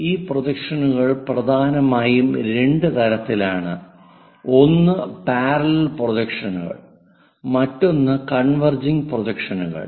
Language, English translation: Malayalam, This projections are mainly two types, one our parallel projections other one is converging projections